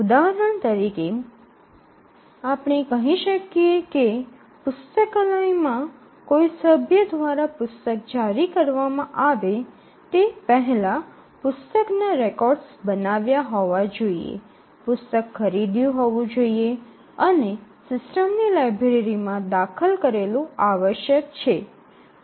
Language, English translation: Gujarati, For example, we might say that in a library before a book can be issued by a member the book records must have been created, the book must have been procured and entered in the systems library